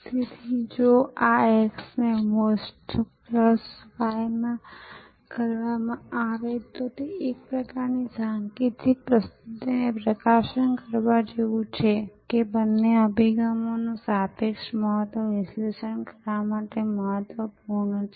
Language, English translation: Gujarati, So, if this x into MOST plus y it is just like a kind of a symbolic presentation to highlight, that the relative importance of both approaches are important to analyze